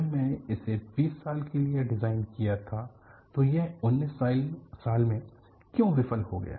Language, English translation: Hindi, WhenI had designed it for 20 years, why it failed in 19 years